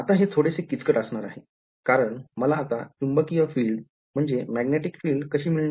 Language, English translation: Marathi, Now this is going to be a little bit tricky, how do I get the magnetic field now